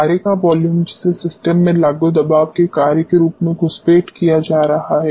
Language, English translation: Hindi, The volume of the mercury which is getting intruded into the system as a function of pressure applied pressure